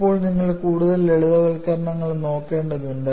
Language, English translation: Malayalam, And now, you will have to look at further simplifications